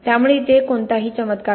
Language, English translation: Marathi, So there is no miracles out there